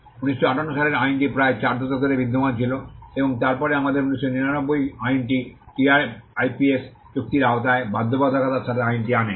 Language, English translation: Bengali, The 1958 act existed for close to 4 decades, and then we had the 1999 act which brought the law in comprehends with the obligations under the TRIPS agreement